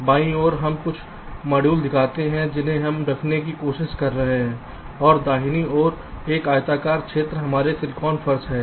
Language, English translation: Hindi, on the left we show some modules that we are trying to place and this rectangular region on the right is our silicon floor